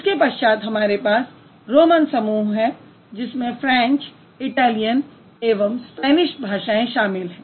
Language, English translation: Hindi, Then we have romance group which has French, Italian and Spanish